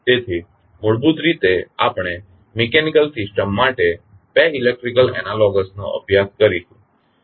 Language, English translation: Gujarati, So, basically we will study 2 electrical analogies for mechanical systems